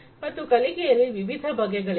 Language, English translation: Kannada, So, there are different types of learning